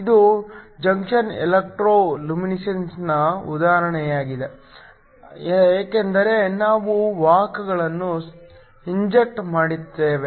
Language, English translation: Kannada, This is an example of an injection electro luminescence because we inject carriers